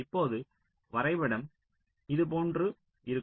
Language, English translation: Tamil, so now the diagram will look something like this